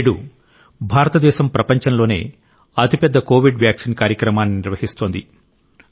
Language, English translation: Telugu, Today, India is undertaking the world's biggest Covid Vaccine Programme